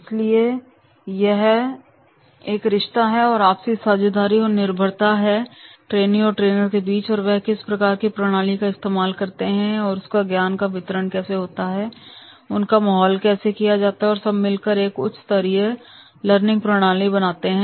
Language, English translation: Hindi, So, it is a relationship and interdependency between the trainer, in the trainee, the use of that methodology and transfer of knowledge and surrounding environment and all are conspiring towards a high level of learning method